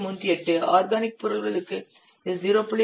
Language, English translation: Tamil, 38 for organic products this is 0